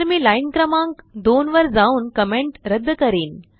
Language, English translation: Marathi, So I will go to line number 2, remove the comment